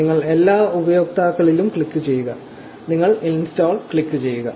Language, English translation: Malayalam, You click all users, you click install